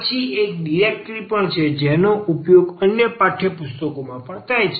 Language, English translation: Gujarati, And then there is a directory also used in several textbooks